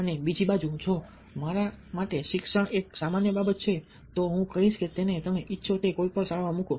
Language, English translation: Gujarati, on the other hand, if education for me is just a casual thing, i will say that just put him in any school you wish to